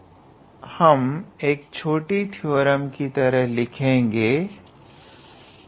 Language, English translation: Hindi, Now, we can put this in a small theorem